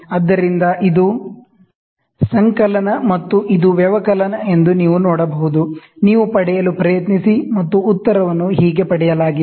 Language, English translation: Kannada, So, this is addition, and you can see this is subtraction, you try to get and this is how the answer is got, ok